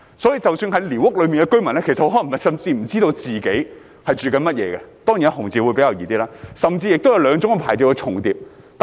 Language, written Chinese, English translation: Cantonese, 所以，即使寮屋居民也可能不知道自己的居所屬哪一種，甚至有兩種牌照重疊的情況。, So even the squatter residents may not be able to identify the type of their home―of course those of the red category are easier to identify―and there may even be cases where two types of licences overlap